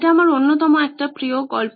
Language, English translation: Bengali, This time it’s one of my favourite stories